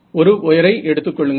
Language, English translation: Tamil, So, just think of a wire